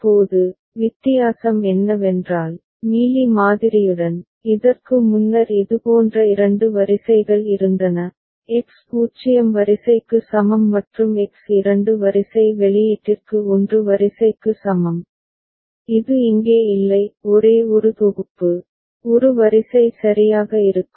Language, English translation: Tamil, Now, the difference is, with Mealy model, is that earlier there was two such rows X is equal to 0 row and X is equal to 1 row for two sets of output, which is not the case here; only one set of, one row will be there ok